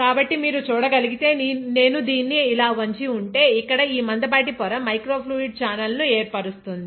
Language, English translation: Telugu, So, if you can see, if I tilt it like this, this thick membrane here forms a microfluidic channel